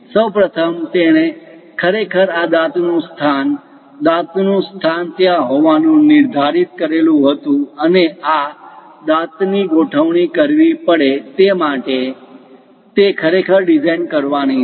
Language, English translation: Gujarati, First of all, he has to really design where exactly these teeth location, tooth location supposed to be there and which form it this tooth has to be arranged